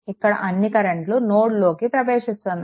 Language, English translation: Telugu, So, all current are entering into the node right